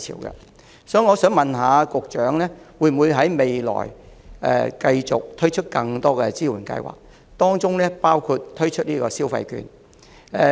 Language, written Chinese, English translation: Cantonese, 因此，我想問局長，未來會否繼續推出更多支援計劃，包括推出消費券？, Therefore may I ask the Secretary will more support schemes such as consumer vouchers be continuously rolled out in the future?